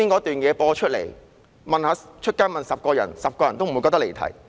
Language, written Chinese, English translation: Cantonese, 剛才播出的片段，在街上問10個人 ，10 個人也不會認為離題。, If you show the video clip broadcast just now to 10 people on the street all of them will say that my speech has not digressed from the subject